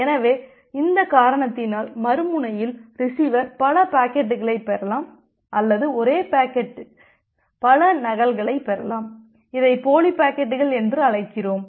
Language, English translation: Tamil, So, because of this reason it may happen that well the other end the receiver may receive multiple packets of the multiple or better to say multiple copies of the same packet which we call as a duplicate packets